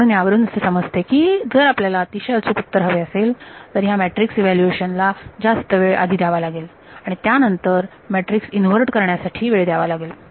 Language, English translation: Marathi, So, that tells you that you know if you wanted a very accurate answer you would have to spend a lot of time in evaluating the matrix itself, then you would spend time in inverting that matrix